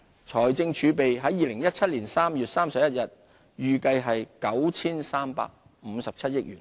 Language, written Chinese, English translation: Cantonese, 財政儲備在2017年3月31日預計為 9,357 億元。, Fiscal reserves are expected to reach 935.7 billion by 31 March 2017